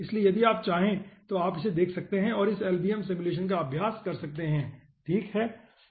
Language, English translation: Hindi, so if you want you can have look at this 1 and practice this lbm simulation